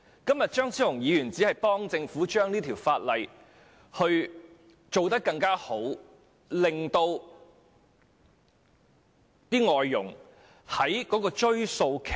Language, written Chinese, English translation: Cantonese, 今天張超雄議員只是協助政府完善《條例草案》，在追溯期方面給予外傭多點空間。, Today Dr Fernando CHEUNG is just helping the Government perfect the Bill allowing more room for foreign domestic helpers in terms of the retrospective period